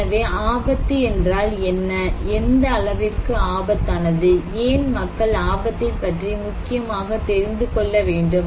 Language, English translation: Tamil, So what is risky, what extent something is risky, why risky is important for people to know